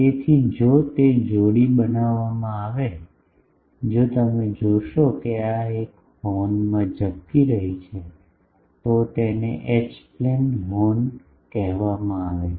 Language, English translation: Gujarati, So, if that gets paired so, if you see that this one is getting flared in a horn, this is called H plane Horn